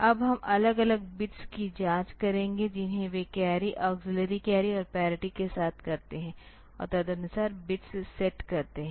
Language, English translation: Hindi, Now we will check the individual bits they carry auxiliary carry and parity and accordingly set the bits